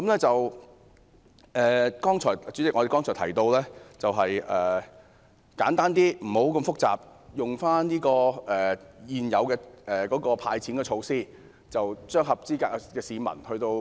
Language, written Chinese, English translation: Cantonese, 主席，我剛才提到簡單的派錢做法，不用那麼複雜，便是利用現有的"派錢"安排，"派錢"給合資格的市民。, Chairman just now I mentioned a simple approach of handing out cash which is not complicated at all . The Government can make use of the existing cash handout arrangement to hand out cash to eligible members of the public